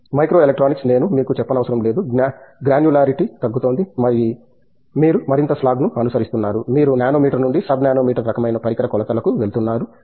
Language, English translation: Telugu, Micro electronics, I don’t have to say that is the you know, the granularity has going down, you are following more slog, you are going from nanometer to sub nanometer kind of device dimensions